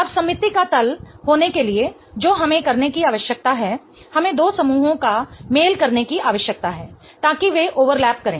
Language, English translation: Hindi, Now, in order for it to have a plane of symmetry, what we need to do is we need to match the two groups such that they overlap